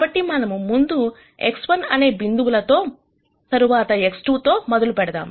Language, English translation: Telugu, So, let us start with this point X 1 and then X 2